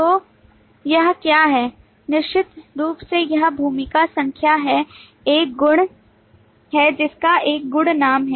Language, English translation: Hindi, So what it has certainly this is role number is a property which has a property name